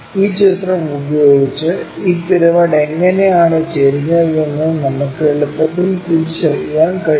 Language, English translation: Malayalam, With that visual we can easily recognize how this pyramid is inclined